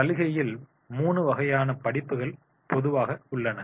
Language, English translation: Tamil, On offer there are three kinds of the courses are normally there